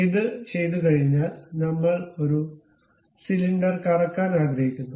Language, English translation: Malayalam, Once it is done, we would like to revolve a cylinder